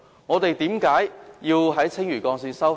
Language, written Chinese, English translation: Cantonese, 我們為何要在青嶼幹線收費？, Why do we need to collect toll for the Lantau Link?